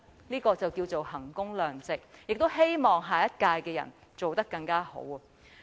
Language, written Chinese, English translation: Cantonese, 這才可稱為衡工量值，亦希望下屆負責人能做得更好。, Only with this can we say that it is value for money and also hope that the responsible person for the next term could do better